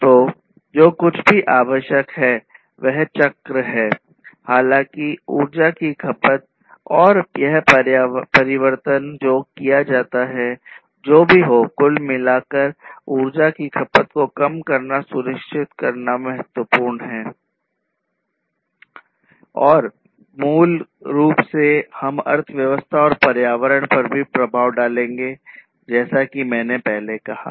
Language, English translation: Hindi, So, what is required is whatever be the cycle, however, the energy consumption and this transformation takes place, whatever be it what is important is to ensure that there is reduced energy consumption overall and that basically we will also have an impact on the economy and the environment as I said earlier